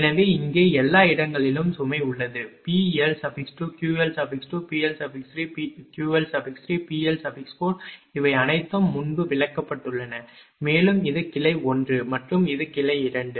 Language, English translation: Tamil, So, here everywhere load is there P L 2 Q L 2 P L 3 Q L 3 P L 4 all this things have been explained before, and this is the branch 1 and this is the branch 2